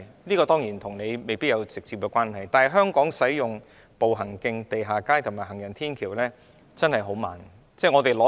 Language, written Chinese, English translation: Cantonese, 這方面與局長未必有直接關係，但香港建設步行徑、地下街及行人天橋的步伐實在相當緩慢。, While this may not be directly related to the Secretary Hong Kongs pace of constructing walkways underground streets and footbridges is honestly very slow